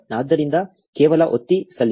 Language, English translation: Kannada, So, just press, submit